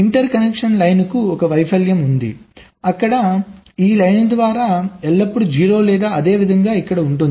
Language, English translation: Telugu, accidentally, there is a failure there by this line is always at zero, or similarly here